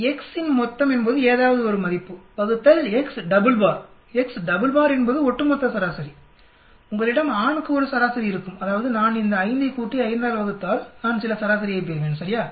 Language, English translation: Tamil, Summation of x is any of the value divided by x double bar, x double bar is over all mean, you will have a mean for male, that means if I add these 5 and divide by 5 I will get some mean right